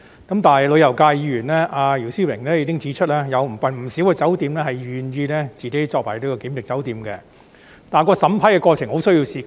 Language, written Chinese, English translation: Cantonese, 但是，旅遊界議員姚思榮已經指出，有不少酒店願意成為檢疫酒店，但審批過程需時很長。, However Mr YIU Si - wing a Member from the tourism sector has already pointed out that many hotels were willing to serve as quarantine hotels but the approval process would take a long time to complete